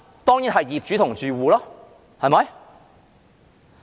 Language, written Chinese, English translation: Cantonese, 當然是業主和住戶。, Certainly it will be the owners and tenants